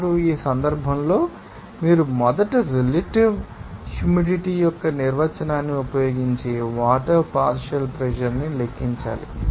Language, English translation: Telugu, Now, in this case, you have to you know first calculate the partial pressure of water by using the definition of relative humidity